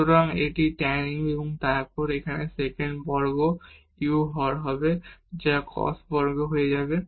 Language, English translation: Bengali, So, this is 2 tan u and then here sec square u will be in the denominator which will become cos square